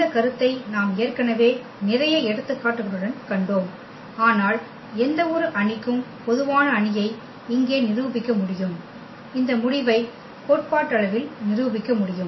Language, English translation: Tamil, This observation we already have seen for numerical examples, but we can prove here for more general matrix for any matrix we can prove this result theoretically